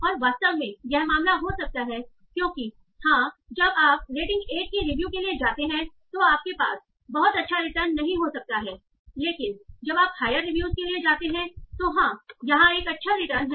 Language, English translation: Hindi, Because yes when you go to from in review of rating one you might not have much good written but then you go to higher review, yes, there is good